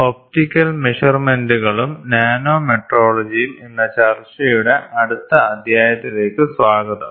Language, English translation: Malayalam, Welcome to the next chapter of discussion which is Optical Measurements and Nanometrology